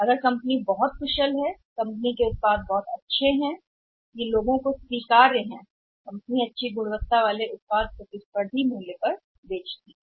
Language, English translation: Hindi, If the company is very efficient company's product is very good it is acceptable to the people with the company selling a quality product and at a very say competitive price